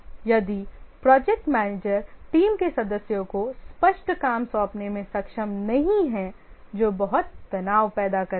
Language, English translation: Hindi, If the project manager is not able to assign clear work to the team members that creates a lot of stress